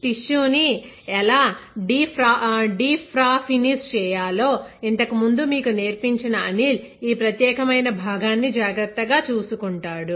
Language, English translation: Telugu, And again, Anil who taught you earlier how to deparaffinize tissue right, he will be taking care of this particular component